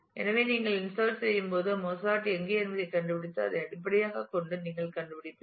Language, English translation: Tamil, So, you you find out while inserting you find out where is Mozart and based on that you create this